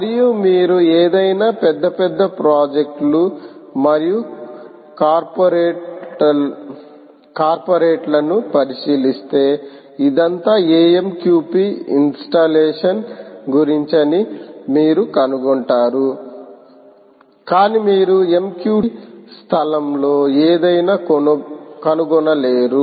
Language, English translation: Telugu, that is the key thing and if you look at any major, big, large projects and corporates, you will find that it is all about amqp installation, but hardly you will find anything in the mqtt space